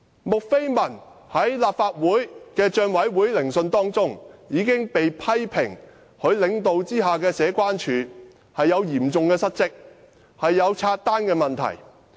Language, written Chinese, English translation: Cantonese, 穆斐文在立法會政府帳目委員會聆訊中被批評，她領導下的社區關係處嚴重失職，出現分拆帳單問題。, Julie MU was criticized at the hearing of the Public Accounts Committee of the Legislative Council . The Community Relations Department under her leadership was severely derelict of its duties leading to problems such as splitting of entertainment bills